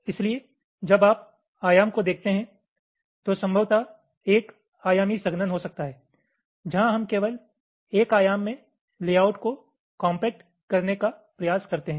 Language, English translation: Hindi, so when you look at dimension, the simplest can be possibly one dimensional compaction, where we try to compact the layouts in only one dimension